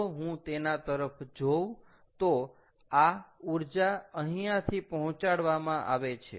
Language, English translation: Gujarati, so therefore, if i look at it, this is the energy that is being delivered from here